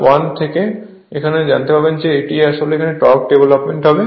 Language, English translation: Bengali, From that you can find out that torque will be developed right